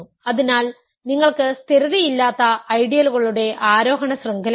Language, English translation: Malayalam, So, you have a non stabilizing ascending chain of ideals